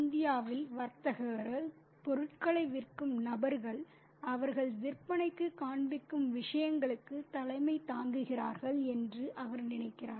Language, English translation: Tamil, He thinks that in India the tradesmen, the people who sell stuff, they preside over the things that they are displaying for sale